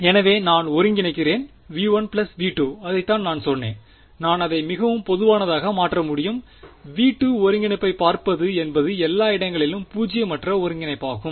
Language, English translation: Tamil, So, I am integrating over v 1 plus v 2 that is what I said the most general case can I make it just v 2 look at the integrand is the is the integrand non zero everywhere